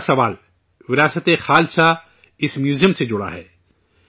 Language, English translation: Urdu, The third question 'VirasateKhalsa' is related to this museum